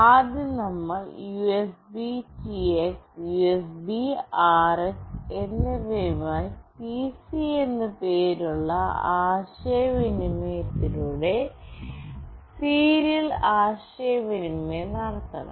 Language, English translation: Malayalam, First we have to make the serial communication with USBTX and USBRX with the communication named as “pc”